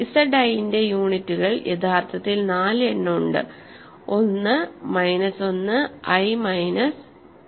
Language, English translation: Malayalam, Units of Z i are actually there are 4 of them 1, minus 1, i, minus, i